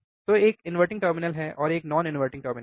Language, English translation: Hindi, So, one is at inverting terminal one is a non inverting terminal